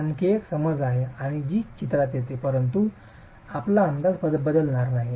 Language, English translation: Marathi, So, that is another assumption that comes into the picture but will not change your estimates significantly